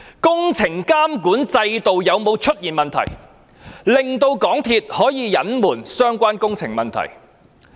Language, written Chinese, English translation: Cantonese, 工程監管制度有沒有出現問題，令港鐵公司可以隱瞞相關的工程問題？, Is there any problem in the monitoring system of the construction works which made it possible for MTRCL to cover up the relevant works problems?